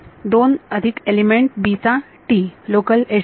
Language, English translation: Marathi, 2 plus T of element b local edge number